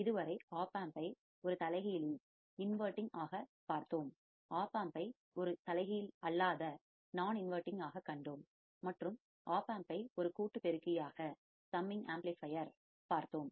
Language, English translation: Tamil, So, we have seen the opamp as an inverting, we have seen opamp as a non inverting, and we have seen opamp as a summing amplifier